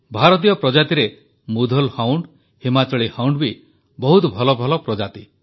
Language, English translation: Odia, Among the Indian breeds, Mudhol Hound and Himachali Hound are of excellent pedigree